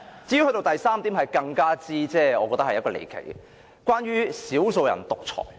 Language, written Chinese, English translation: Cantonese, 至於第三點則更是離奇，關於"少數人獨裁"。, As to the third point which concerns dictatorship by a handful of people it sounds even more absurd